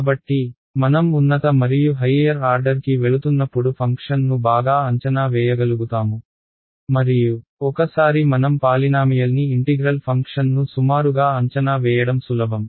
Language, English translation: Telugu, So, as I go to higher and higher order I will be able to better approximate the function and once I approximate the function integrating a polynomial is easy